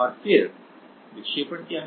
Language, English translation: Hindi, And then what is the deflection